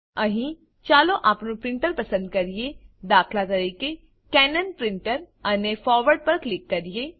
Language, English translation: Gujarati, Here, lets select our printer, i.e., Cannon Printer and click on Forward